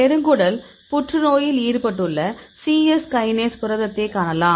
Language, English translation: Tamil, For here you can see the cyes kinase protein; this is involved in this colorectal cancer